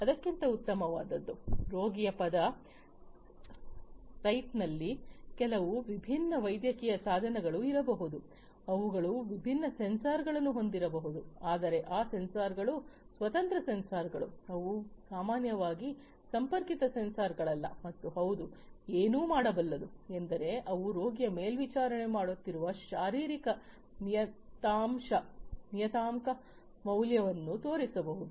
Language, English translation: Kannada, Better than that is, at the word site of the patient there might be some different medical devices which might be also equipped with different sensors, but those sensors are standalone sensors, they are typically not connected sensors and all they can do is they can give the they can show the value the physiological parameter value that is being monitored for the patient